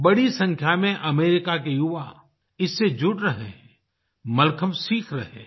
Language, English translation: Hindi, A large number of American Youth are joining and learning Mallakhambh